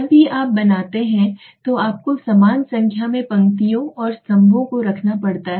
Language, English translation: Hindi, Whenever you make you have to have equal number of rows and columns suppose